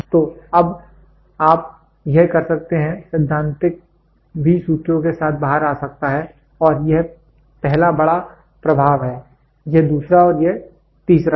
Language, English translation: Hindi, So, now, you can it the theoretical one can even come out with the formulas and this is the first major influence, this is the second and this is the third